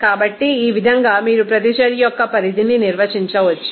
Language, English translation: Telugu, So, in this way you can define that extent of reaction